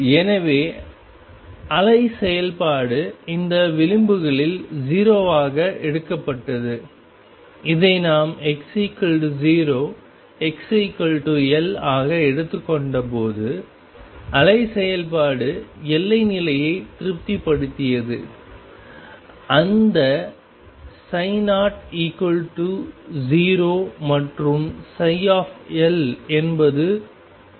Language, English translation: Tamil, So, the wave function was taken to be 0 at these edges, when we took this to be x equals 0 and x equals L the wave function satisfied the boundary condition; that psi at 0 0 and psi at L was 0